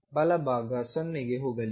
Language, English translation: Kannada, The right hand side is going to go to 0